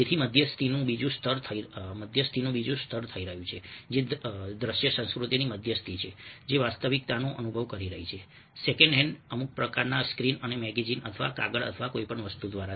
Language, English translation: Gujarati, so another layer of mediation is taking place, which is the mediation of visual culture, which is experiencing the reality second hand through some kind of a screen or magazine or paper or whatever